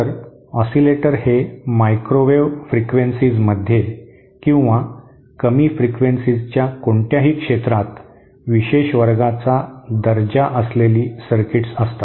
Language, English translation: Marathi, So oscillators are special class of circuits in any field whether in microwave frequencies or at lower frequencies